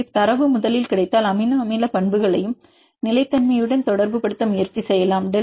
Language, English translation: Tamil, So, if the data is available first we can try to relate amino acid properties with stability